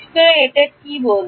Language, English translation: Bengali, So, what is this saying